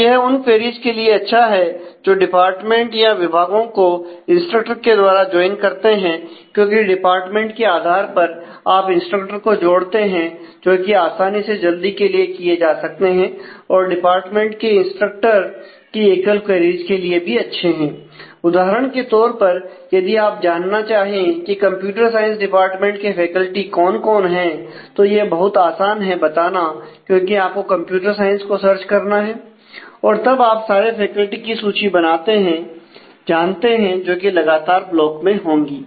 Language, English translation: Hindi, Now, it is actually good for queries that involved joining department with instructor, because based on the value of the department you have the instructors club together and they could be very easily quickly taken together and it is also good for single queries with departments and it is instructors, because as you can see you can if you want to know for example, who are the faculty for at computer science department; then it be very easy to answer that, because you need to search for computer science and then you know all the list of the faculty will be in consecutive block